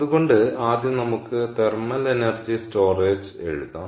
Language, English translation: Malayalam, ok, so first lets write down thermal energy storage